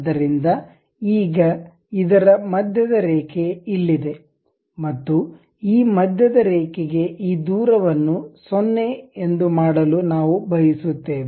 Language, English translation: Kannada, So, now the center line at this and we want to make this distance to this center line to be 0